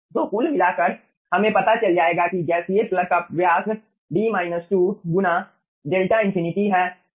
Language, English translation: Hindi, so overall, we will be finding out the diameter of this gaseous plug is d minus 2 into delta infinity